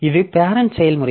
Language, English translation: Tamil, So, this is the parent process